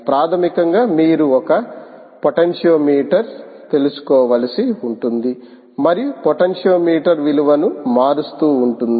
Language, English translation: Telugu, you will have to take a potentiometer and basically tune, keep changing the value of the potentiometer